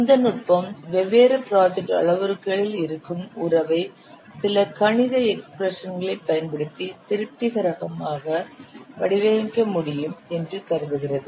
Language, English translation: Tamil, So, this technique assumes that the relationship which exists among the different project parameters can be satisfactorily modeled using some mathematical expressions